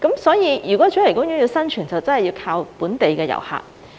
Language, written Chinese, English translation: Cantonese, 所以，如果主題公園要生存，真的要靠本地遊客。, Therefore in order to survive a theme park must really rely on local visitors